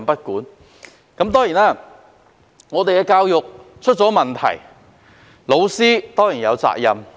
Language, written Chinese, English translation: Cantonese, 香港的教育出現問題，教師固然有責任。, Teachers are certainly responsible for the problems in Hong Kongs education